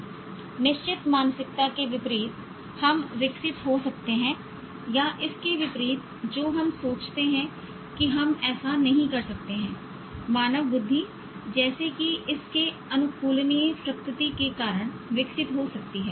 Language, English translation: Hindi, Unlike the fixed mindset that we might have developed or contrary to what we think that we cannot do that, human intelligence as such can be developed because of its adaptable nature